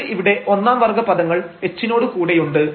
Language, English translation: Malayalam, So, we have the first order terms here with this h